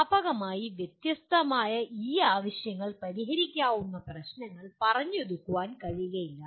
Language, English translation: Malayalam, And many times this widely varying needs cannot be compromised into a solvable problem